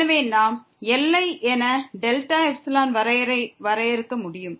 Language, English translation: Tamil, So, we can define delta epsilon definition as for the limit